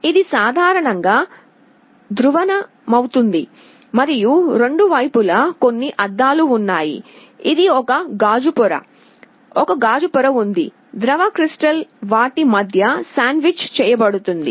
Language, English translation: Telugu, It is typically polarized and there are some glasses on both sides, this is a glass layer, there is a glass layer, the liquid crystal is sandwiched between them